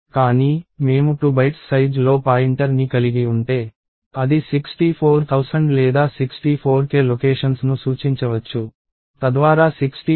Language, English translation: Telugu, But, if I have a pointer of 2 bytes in size, it can point to 64000 or 64K locations, so that is 65536 locations